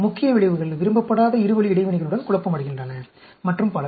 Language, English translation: Tamil, The main effects are confounded with the two way interactions which is not desired, and so on